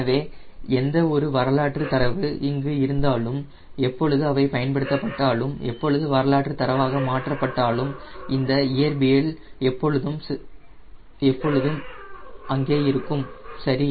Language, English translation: Tamil, so whatever historical data is there, when they have been correlated, when they have been converted into database, this physics was always there right